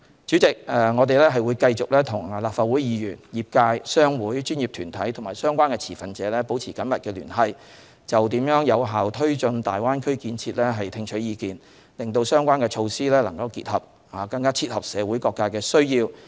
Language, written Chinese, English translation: Cantonese, 主席，我們會繼續與立法會議員、業界、商會、專業團體和相關持份者保持緊密聯繫，就如何有效推進大灣區建設聽取意見，使相關措施能更切合社會各界的需要。, President we will continue to maintain close liaison with Legislative Council Members the industries trade associations professional bodies and the stakeholders concerned and listen to their views on how to take forward the development of the Greater Bay Area effectively so that the related measures can better meet the needs of various sectors of society